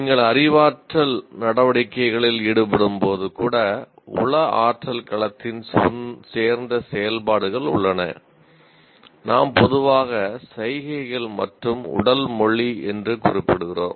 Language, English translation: Tamil, And as you can see that even while you are involved in cognitive activities, there are activities that belong to psychomotor domain, what we normally refer to as gestures and body language